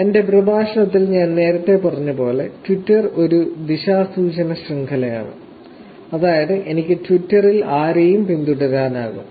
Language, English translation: Malayalam, As I said earlier in my lecture, Twitter is a unidirectional network, which is, I can follow anybody on Twitter